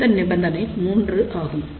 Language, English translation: Tamil, Now, what about this third condition